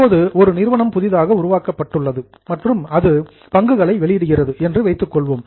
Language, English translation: Tamil, Now, let us say a company is newly formed and it issues shares